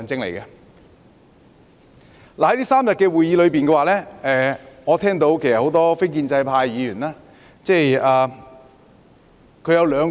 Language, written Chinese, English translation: Cantonese, 在這3天的會議上，我聽到很多非建制派議員的發言。, During the meetings in these three days I have listened to the speeches of many non - establishment Members